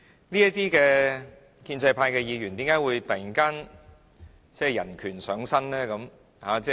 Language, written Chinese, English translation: Cantonese, 這些建制派議員為何突然人權上身？, Why these pro - establishment Members have suddenly become human rights advocates?